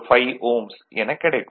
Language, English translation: Tamil, 05 and it is 0